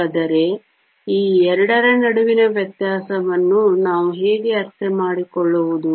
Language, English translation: Kannada, So, how do we understand the difference between these 2